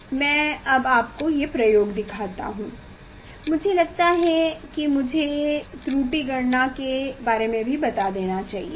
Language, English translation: Hindi, let me show the experiment, I think let me also tell you about the error calculation